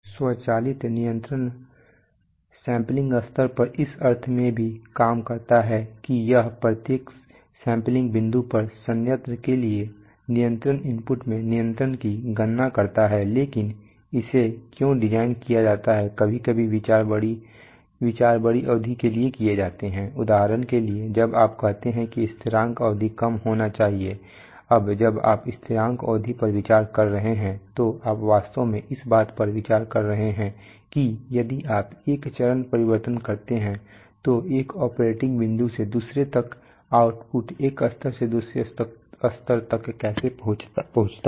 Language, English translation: Hindi, Automatic control also works at the sampling level in the sense that it computes control in control input for the plant at each sampling point but why it is designed, sometimes considerations are made of larger duration, for example when you say that the settling time should be low, now when you are considering settling time you are actually considering that if you make a step change then from one operating point to another how does the output reach from one level to another